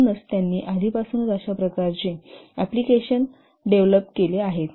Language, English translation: Marathi, So already they have developed similar types of application